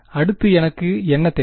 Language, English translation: Tamil, Next what do I need